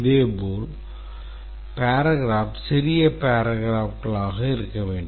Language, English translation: Tamil, Similarly the paragraphs should be small paragraphs